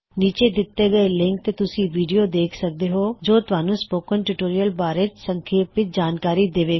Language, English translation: Punjabi, The video available at the following link summarises the Spoken Tutorial project